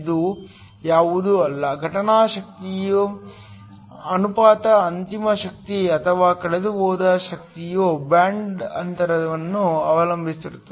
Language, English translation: Kannada, This is nothing but the ratio of the incident power to the final energy or the energy that is lost which depends upon the band gap